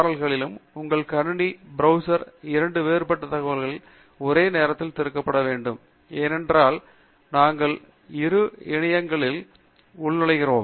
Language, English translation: Tamil, And these two URLs should be opened simultaneously in two different tabs in your browser, because we will be logging into both the portals and we will need the information to be seen simultaneously in both the portals